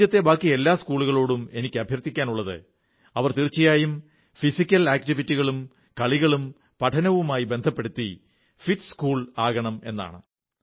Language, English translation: Malayalam, I urge the rest of the schools in the country to integrate physical activity and sports with education and ensure that they become a 'fit school'